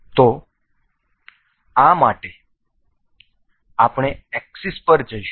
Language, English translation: Gujarati, So, for this we will go to so axis